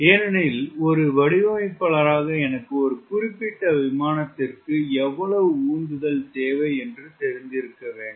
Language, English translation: Tamil, so the designer i need to ask question: how much thrust do i require for a particular airplane